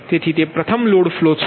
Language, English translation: Gujarati, right, so that it first is load flow